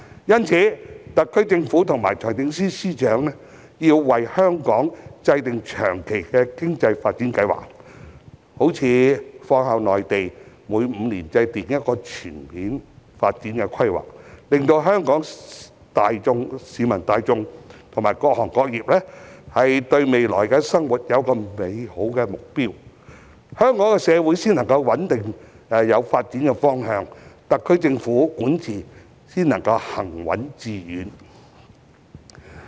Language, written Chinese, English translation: Cantonese, 因此，特區政府和財政司司長要為香港制訂長期的經濟發展計劃，例如仿效內地每5年制訂一項全面發展規劃，令香港市民大眾和各行各業對未來的生活有美好的目標，香港社會才能朝穩定的方向發展，特區政府的管治才能行穩致遠。, In view of this the SAR Government and FS should formulate a long - term plan for Hong Kongs economic development . We may follow the example of the Mainland which has been formulating comprehensive development plans every five years . By doing so Hong Kong people and various trades and industries will have a better goal for their future life Hong Kongs society can develop in a direction towards stability and the SAR Government can achieve steadfast and successful administration